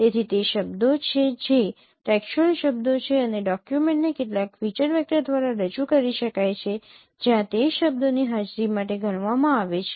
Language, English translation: Gujarati, So, those are the words which are textual words and a document can be represented by some feature vector where the presence of those words are counted for